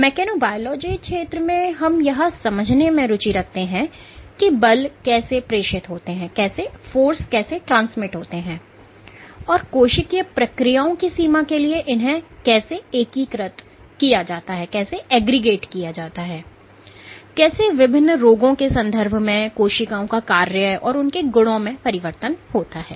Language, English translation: Hindi, So, in this field of mechanobiology we are interested in understanding how forces get transmitted, and how they are integrated for range of cellular processes, and how in the context of various diseases the functioning and the properties of cells get altered